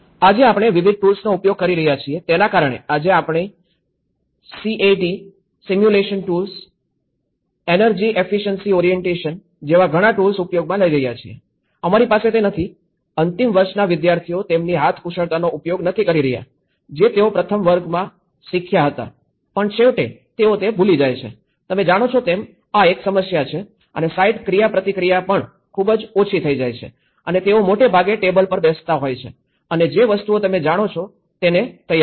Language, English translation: Gujarati, Today, because of the various tools which we are doing, we are having many tools like the CAD simulation tools and energy efficiency orientation today, we are not having anyways, the final year students are not at all using their hand skills which they learned in first year but eventually, they forget about it you know, this is one problem and also the site interactions become very less and they mostly end up in sitting on a table and drafting things you know